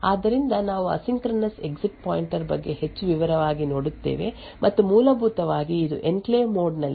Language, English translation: Kannada, So, we look at more detail about the asynchronous exit pointer and essentially this is related to interrupt management in an enclave mode